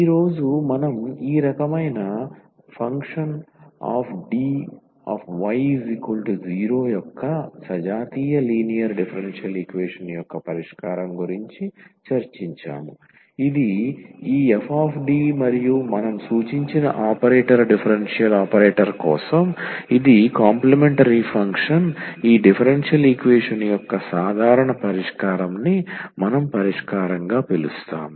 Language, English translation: Telugu, So, coming to the conclusion we have today discussed the solution of the homogeneous linear differential equation of this type f D y is equal to 0 this is just for the operator differential operator we have denoted by this f D and the complementary function which we call as the solution the general solution of this differential equation we call as complementary function